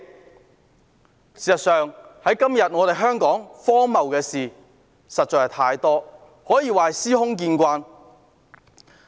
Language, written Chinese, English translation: Cantonese, 事實上，香港今天荒謬的事情實在太多，可以說是私空見慣。, In fact so many absurd things are commonplace in Hong Kong these days